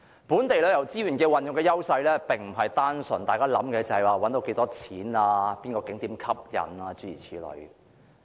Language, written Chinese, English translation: Cantonese, 本地旅遊資源的優勢並非單純關乎賺到多少錢、哪個景點吸引，諸如此類。, The edges of local tourism resources are not just about how much money can be earned which tourist spots are attractive or things like that